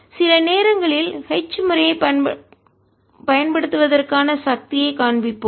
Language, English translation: Tamil, this also shows the power of using h method sometimes